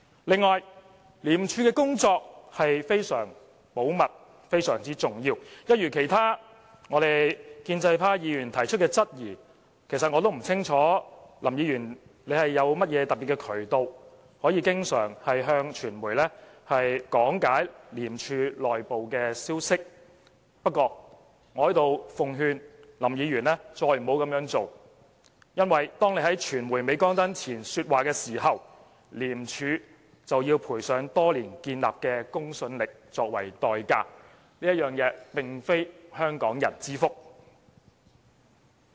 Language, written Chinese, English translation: Cantonese, 此外，廉署的工作是非常保密和非常重要的，一如其他建制派議員所提出的質疑——其實我也不清楚林議員有甚麼特別的渠道可以經常向傳媒講解廉署內部消息——不過，我在這裏奉勸林議員不要再這樣做，因為當他在傳媒鎂光燈前說話時，廉署就要賠上多年建立的公信力作為代價，這並非香港人之福。, What is more the work of ICAC is highly confidential and significant . Like other Members from the pro - establishment camp I also have queries I do not know what special channels Mr LAM has and why he talks about the inside stories of ICAC before the media so very often . But I would advise Mr LAM to stop doing so because whenever he speaks before the flashbulbs of media cameras ICAC will have to pay the price of losing the credibility it has earned over the years